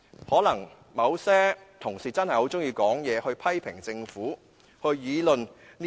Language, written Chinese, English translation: Cantonese, 可能某些同事真的很喜歡說話、批評政府及議論時政。, Perhaps some Honourable colleagues really like to talk criticize the Government and debate politics